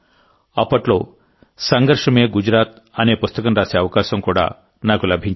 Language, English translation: Telugu, I had also got the opportunity to write a book named 'Sangharsh Mein Gujarat' at that time